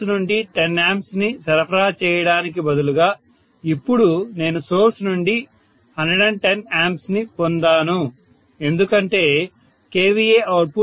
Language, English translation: Telugu, Rather than supplying 10 ampere from the source, now I have ended up getting 110 amperes from the source, because if I am saying that the output kVA is 2